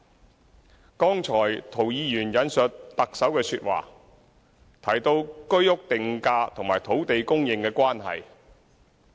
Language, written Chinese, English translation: Cantonese, 涂謹申議員剛才引述特首的說話，提到居者有其屋定價與土地供應的關係。, Just now when Mr James TO quoted the Chief Executives remarks he mentioned the relationship between the price of Home Ownership Scheme HOS flats and land supply